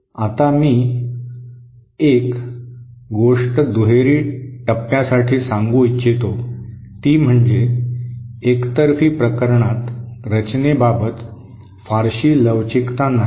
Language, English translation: Marathi, Now one thing I would like to state for the bilateral phase is that unlike the unilateral case there is not much design flexibility